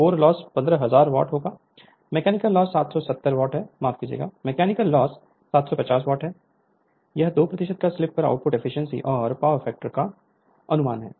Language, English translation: Hindi, The core loss will 15000 watt the mechanical loss is 750 watt, estimate the output efficiency and power factor at a slip of 2 percent this is the problem